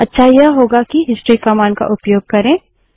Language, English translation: Hindi, A better way is to use the history command